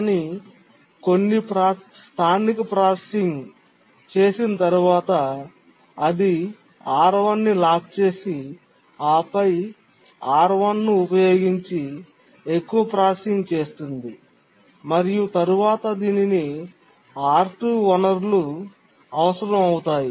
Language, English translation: Telugu, But then after some local processing it locks R1 and then does more processing using R1 and then needs the resource R2